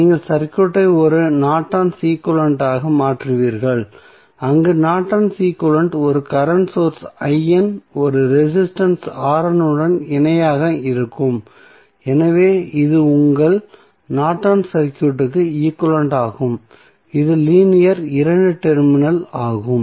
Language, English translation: Tamil, That you will change the circuit to a Norton's equivalent where the Norton's equivalent would be looking like this here in this case you will have current source I N in parallel with one resistance R N so this is your Norton's equivalent of the circuit which is linear two terminal